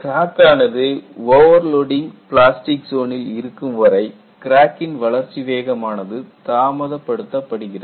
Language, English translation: Tamil, The subsequent crack growth is retarded due to this, because of the overload plastic zone